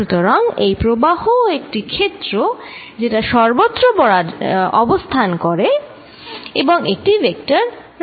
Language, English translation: Bengali, So, this current j r is also a field, which exist everywhere is a vector quantity